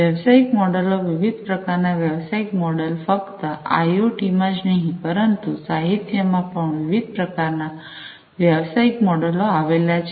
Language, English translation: Gujarati, The business models, the different types of business models not just for IoT, but the different types of business models that are there in the literature